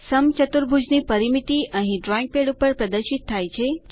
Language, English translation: Gujarati, Perimeter of rhombus is displayed here on the drawing pad